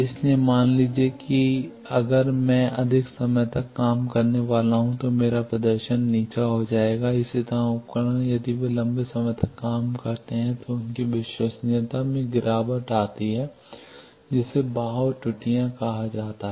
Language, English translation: Hindi, So, suppose if I am to work for longer hours my performance will degrade, similarly instruments if they work longer then their reliability degrades that is called drift errors